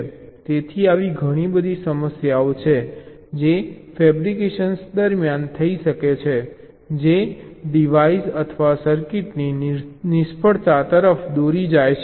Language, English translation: Gujarati, so there are lot of some issues which can take place during fabrication which might lead to the failure of the device or the circuits